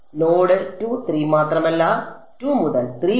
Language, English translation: Malayalam, Not just node 2 3 along 2 to 3